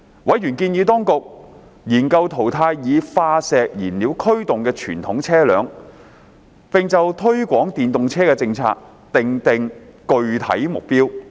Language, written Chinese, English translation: Cantonese, 委員建議當局研究淘汰以化石燃料驅動的傳統車輛，並就推廣電動車的政策訂定具體目標。, Members suggested that the Administration should consider phasing out conventional vehicles powered by fossil fuels and set specific targets for the policy of promoting the use of electric vehicles EVs